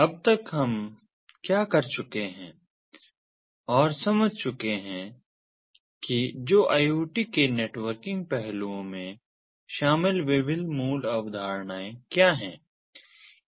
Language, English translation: Hindi, so far what we have gone through and have understood at the different basic concepts that are involved in the networking aspects of iot